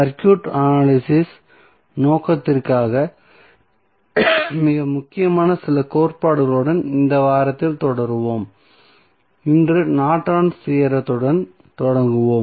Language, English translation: Tamil, So, we will continue in this week with few other theorems which are very important for the circuit analysis purpose and we will start with Norton's Theorem today